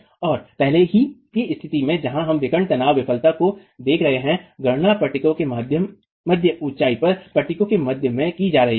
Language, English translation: Hindi, And in the earlier situation where you are looking at the diagonal tension failure, the calculations were being carried out at the mid height of the panel, in the middle of the panel